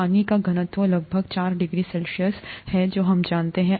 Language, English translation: Hindi, The water has highest density at around 4 degree C that we know